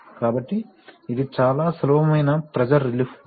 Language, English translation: Telugu, So, this is a very simple pressure relief valve